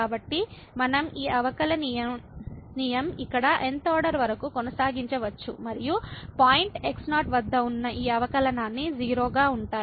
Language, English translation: Telugu, So, we can continue this differentiation here up to the th order and all these derivatives at point will be 0